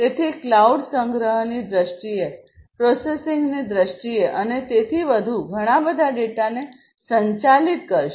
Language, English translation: Gujarati, So, cloud is going to handle so much of data in terms of storage, in terms of processing and so on